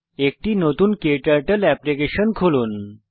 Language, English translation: Bengali, When you open a new KTurtle application